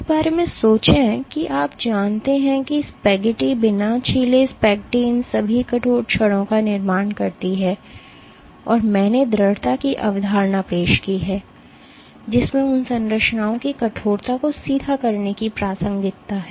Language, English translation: Hindi, Think of this you know the spaghetti uncooked spaghetti forms all these rigid rods, and I introduced the concept of persistence which has direct relevance to bending rigidity of those structures